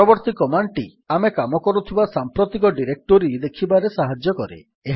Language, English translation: Odia, The next command helps us to see the directory we are currently working in